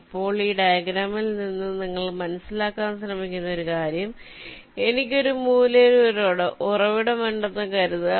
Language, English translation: Malayalam, now, one thing that you just try to understand from this ah diagram: suppose i have a source at one corner, lets say here, and my target is the other corner